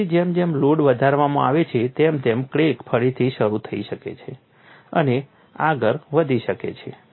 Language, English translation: Gujarati, Then as the load is increased, that crack can again reinitiate and grow further